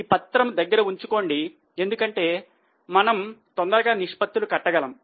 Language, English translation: Telugu, Please keep that sheet ready because we can readily calculate the ratios